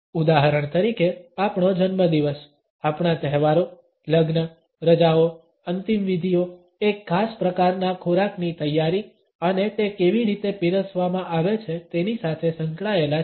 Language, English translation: Gujarati, For example, our birthdays, our festivals, weddings, holidays, funerals are associated with a particular type of the preparation of food and how it is served